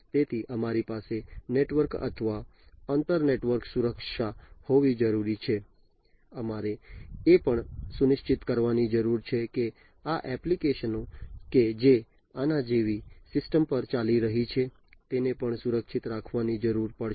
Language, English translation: Gujarati, So, we need to have network or inter network security we also need to ensure that these applications that are running on the system like these ones these also will we will need to be protected